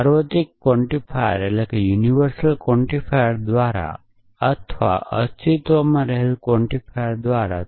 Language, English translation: Gujarati, universal quantifier or by a existential quantifier